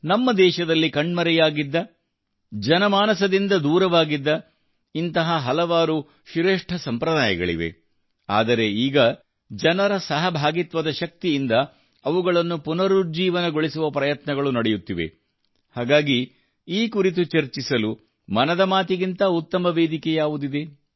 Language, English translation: Kannada, There are many such great traditions in our country which had disappeared, had been removed from the minds and hearts of the people, but now efforts are being made to revive them with the power of public participation, so for discussing that… What better platform than 'Mann Ki Baat'